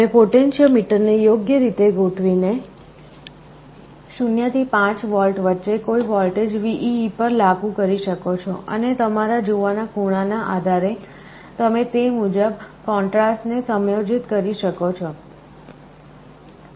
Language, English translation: Gujarati, By suitably adjusting the potentiometer, you can apply any voltage between 0 and 5V to VEE and depending on your viewing angle, you can adjust the contrast accordingly